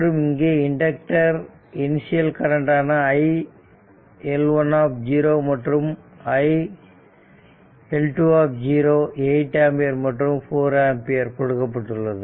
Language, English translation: Tamil, Therefore, iLeq equivalent inductor current will be iL1 0 plus iL2 that is 12 ampere right